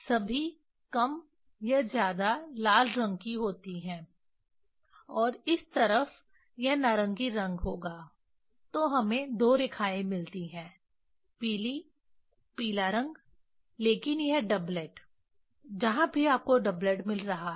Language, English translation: Hindi, all are more or less red color and this side it will be orange color then we get two lines the yellow; yellow color but they are it is the doublet wherever you are getting doublet